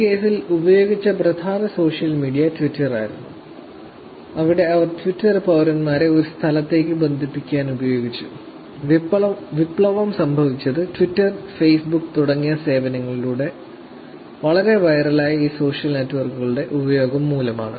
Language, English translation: Malayalam, So this was main social media that was used in this case was actually Twitter, where they were actually using twitter to connect with citizens giving them to one place and revolution happened because of using these social network where it went very viral through these services like Twitter and Facebook